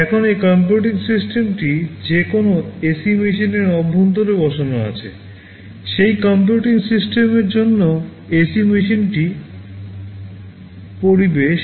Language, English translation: Bengali, Now this computing system that is sitting inside an AC machine, for that computing system the AC machine is the environment